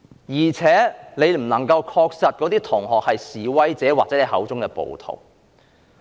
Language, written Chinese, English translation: Cantonese, 而且，他不能確定那些同學是否示威者或他口中的暴徒。, What is more he cannot be sure whether those students are protesters or rioters as he called them